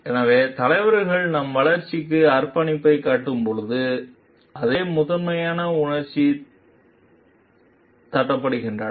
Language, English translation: Tamil, So, when leaders show commit to our growth the same primal emotions are tapped